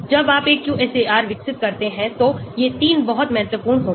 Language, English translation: Hindi, These 3 are very important when you develop a QSAR